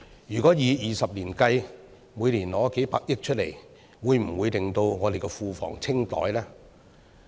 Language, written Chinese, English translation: Cantonese, 如果以20年計算，每年取出數百億元，會否使我們的庫房清袋呢？, If we take for calculation purpose several tens of billions of dollars per year for a period of 20 years will our public coffers be drained?